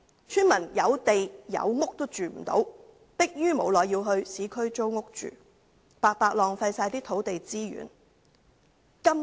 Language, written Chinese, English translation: Cantonese, 村民有地、有屋也無法居住，逼於無奈要在市區租屋居住，白白浪費土地資源。, The villagers cannot live in their own houses on their own land . They cannot but rent a home in the urban areas for living thus wasting the land resources